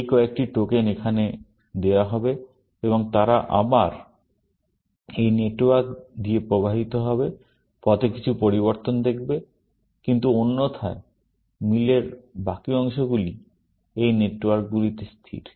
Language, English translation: Bengali, Those few tokens would be put in here, and they will again, tickle down this network, and make some changes on the way, but otherwise, the rest of the match is, sort of, static in these networks